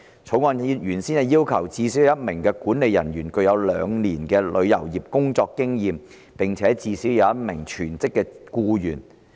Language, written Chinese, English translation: Cantonese, 《條例草案》原先要求最少有1名管理人員具有兩年旅遊業工作經驗，並且最少有1名全職僱員。, The Bill originally required that at each premises there must be at least one manager with a minimum of two years experience of the travel industry and one full - time staff member